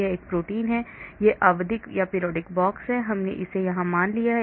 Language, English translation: Hindi, This is the protein, this is the periodic box, we have assumed it here